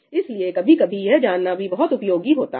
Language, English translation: Hindi, So, sometimes it is useful to know that